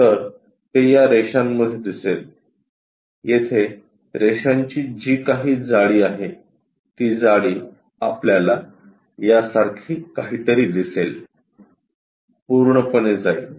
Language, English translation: Marathi, So, it goes in between these lines whatever the thickness here, that thickness we will see something like this, all the way goes